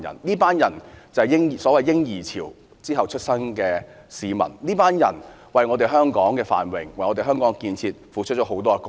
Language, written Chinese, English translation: Cantonese, 這群人是所謂戰後"嬰兒潮"出生的，他們為香港的繁榮和建設，付出了很多貢獻。, This group is the post - war baby boomers . They have contributed a lot to the prosperity and development of Hong Kong